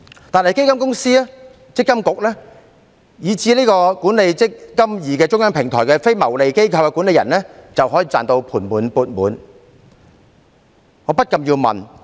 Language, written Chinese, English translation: Cantonese, 但基金公司、強制性公積金計劃管理局，以至管理"積金易"這中央平台的非牟利機構管理人卻可以"賺到盤滿缽滿"。, On the contrary fund companies the Mandatory Provident Fund Schemes Authority MPFA and even the non - profit making managing organization of the centralized eMPF platform can make a lot of money